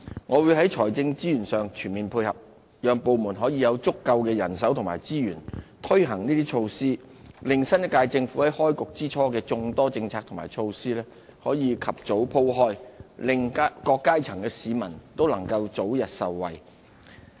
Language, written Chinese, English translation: Cantonese, 我會在財政資源上全面配合，讓部門可以有足夠的人手和資源，推行這些措施，令新一屆政府在開局之初的眾多政策和措施可以及早鋪展開來，令各階層的市民都能夠早日受惠。, On my part I will give my full financial support to various departments to ensure that they have sufficient manpower and resources to carry out the said initiatives . It is hoped that a vast array of policies and initiatives proposed by the Government at the beginning of its term can then be rolled out quickly for the early benefit of people of different strata